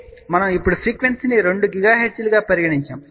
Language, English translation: Telugu, So, we now put frequency as 2 gigahertz